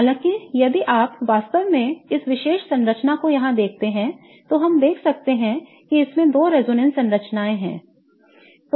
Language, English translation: Hindi, However, if you really look at this particular structure here, we can see that it has two resonance structures